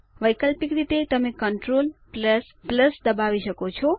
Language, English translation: Gujarati, Alternately, you can press Ctrl + +